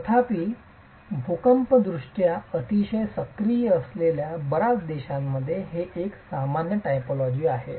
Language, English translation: Marathi, However, this has been a prevalent typology in several countries which are seismically very active